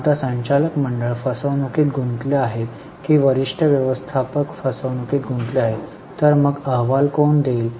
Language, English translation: Marathi, Now, board of directors may say some fraud or senior managers fraud are, whom will they report